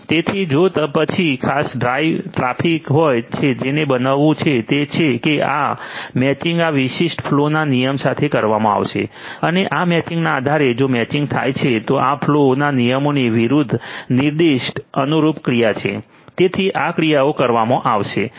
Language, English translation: Gujarati, So, if certain traffic comes next so, what is going to happen is this matching is going to be done with this particular flow rule and based on this particular matching if the matching happens, then the corresponding action that is specified against these flow rules are going to be; are going to be taken so, these actions are going to be taken